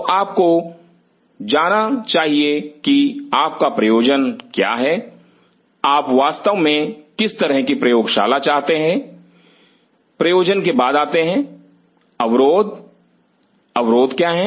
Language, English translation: Hindi, So, you should know what is your purpose what kind of lab you really wanted it to be after the purpose comes the constraints, what are the constraints